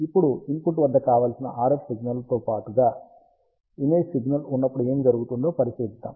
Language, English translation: Telugu, Now, let us consider what happens, when we have an image signal along with the desired RF signal at the input